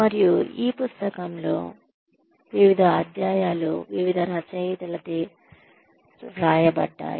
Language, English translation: Telugu, And, different chapters have been written in the book, by different authors